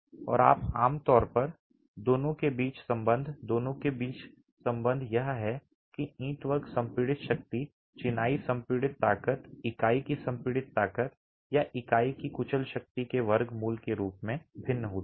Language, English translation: Hindi, And typically the correlation between the two, the relation between the two is that the brickwork compressive strength, the masonry compressive strength varies as the square root of the compressor strength of the unit or the crushing strength of the unit